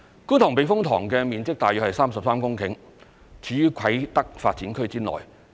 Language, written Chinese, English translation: Cantonese, 觀塘避風塘面積大約33公頃，處於啟德發展區內。, The Kwun Tong Typhoon Shelter which covers an area of about 33 hectares is located in the Kai Tak Development Area